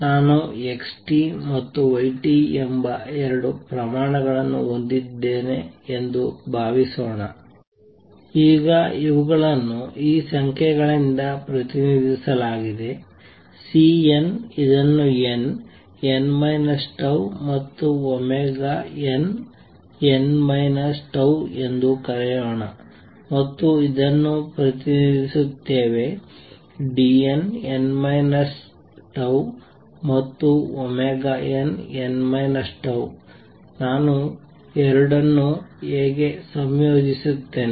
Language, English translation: Kannada, Suppose I have two quantities Xt and Y t, now these are represented by these numbers, Cn let us call it n, n minus tau and omega n, n minus tau and this is represented by let us say D n, n minus tau and omega n, n minus tau how do I combine the two